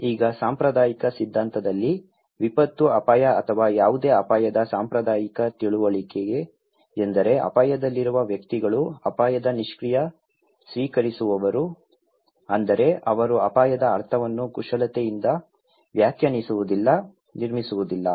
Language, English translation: Kannada, Now, in the conventional theory, conventional understanding of disaster risk or any risk is that individuals who are at risk they are the passive recipient of risk that means, they do not manipulate, interpret, construct the meaning of risk